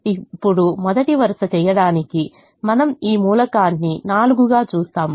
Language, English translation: Telugu, now to do the first row, we look at this element, which is four